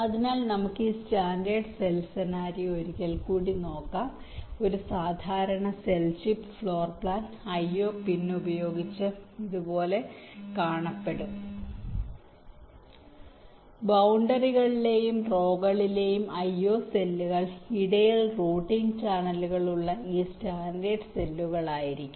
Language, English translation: Malayalam, a standard cell chip floorplan would look like this with the io pins, the io cells on the boundaries and the rows will be this: standard cells with routing channels in between